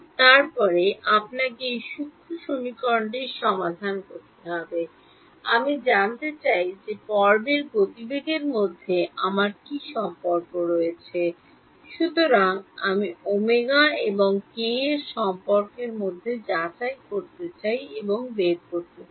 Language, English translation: Bengali, Then you have to solve this transcendental equation to find out what the relation between I want the phase velocity; so, I want the relation between omega and k that is what I want to get out